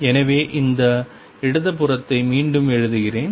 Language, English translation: Tamil, So, let me write this left hand side again